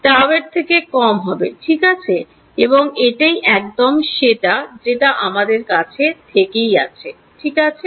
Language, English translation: Bengali, Less than tau right and that is exactly what we had earlier ok